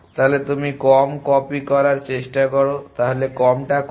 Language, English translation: Bengali, So, you try to copy the less so what are the less